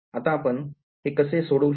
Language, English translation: Marathi, How will we solve this